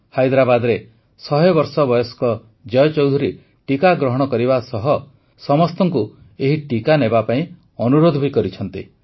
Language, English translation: Odia, 100 year old Jai Chaudhary from Hyderabad has taken the vaccine and it's an appeal to all to take the vaccine